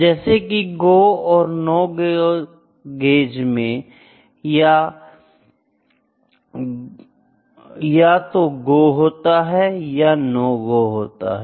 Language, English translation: Hindi, For instance we can say like in go, no go gauge whether it is go or it is no go, ok